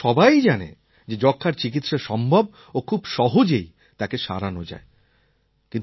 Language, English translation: Bengali, But now we are not scared of it because everybody knows TB is curable and can be easily cured